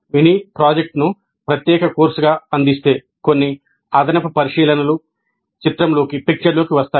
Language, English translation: Telugu, But if mini project is offered as a separate course, then some additional considerations come into the picture